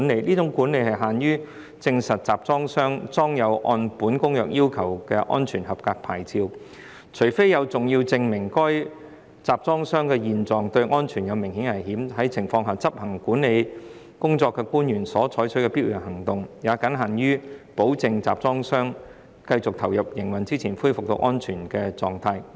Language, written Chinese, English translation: Cantonese, 這種管理僅限於證實集裝箱上裝有按《公約》要求的安全合格牌照，除非有重要證明該集裝箱的現狀對安全有明顯的危險，在這種情況下，執行管理工作的官員所採取的必要行動，也僅限於保證集裝箱在繼續投入營運之前恢復到安全狀態。, And this control shall be limited to verifying that the container carries a valid Safety Approval Plate as required by the present Convention unless there is significant evidence for believing that the condition of the container is such as to create an obvious risk to safety . In that case the officer carrying out the control shall only exercise it in so far as it may be necessary to ensure that the container is restored to a safe condition before it continues in service